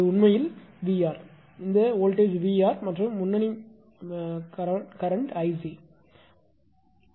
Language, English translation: Tamil, This is actually VR; this voltage is VR and leading current it is I c right